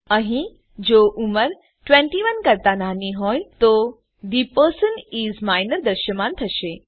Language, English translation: Gujarati, Here, if age is less than 21, The person is Minor will be displayed